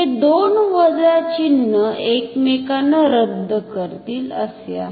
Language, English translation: Marathi, It is like 2 minus signs cancelling each other